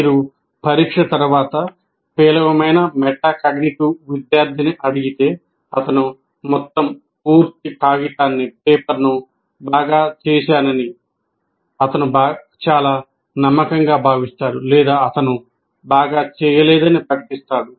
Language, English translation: Telugu, If you ask a poor metacognitive student, after the test, he may feel very confident that he has asked the entire paper, or otherwise he will just declare that I haven't done anything well